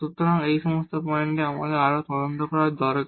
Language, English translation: Bengali, So, at all these points we need to further investigate